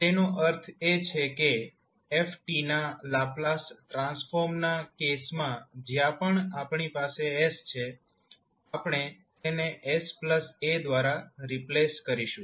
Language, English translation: Gujarati, That means that wherever we have s in case of the Laplace transform of f t, we will replace it by s plus a